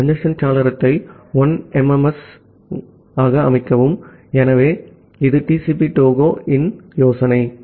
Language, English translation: Tamil, And set the congestion window to 1MSS, so that is the idea of TCP Tohoe